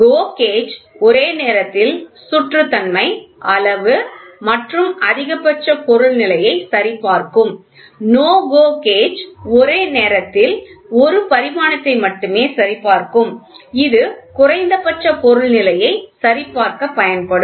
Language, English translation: Tamil, GO gauge will simultaneously check for roundness, size as well as maximum material condition; NO GO gauge will try to check only one dimension at a time and it will used for checking the minimum material condition